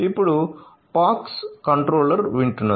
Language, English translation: Telugu, Now, the POX controller is listening